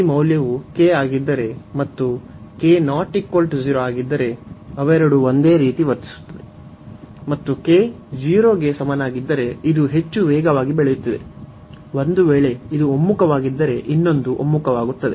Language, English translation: Kannada, So, we have if this value is k, and in that case if k is not equal to 0, they both will behave the same and if k comes to be equal to 0 that means, this is growing much faster; in that case if this converges, the other one will also converge